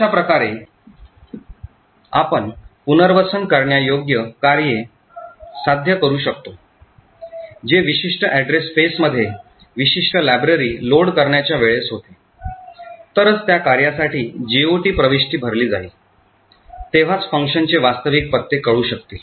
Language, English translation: Marathi, This way we can achieve relocatable functions that is only at a time of loading the particular library into a process address space, only then, GOT entry for that function will be filled in, therefore only then will the actual addresses of the function be known